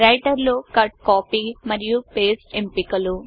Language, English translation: Telugu, Cut, Copy and paste option in writer